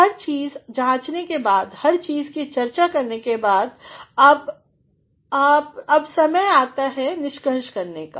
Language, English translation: Hindi, Having analyzed everything, having discussed everything, now is the time that you are going to conclude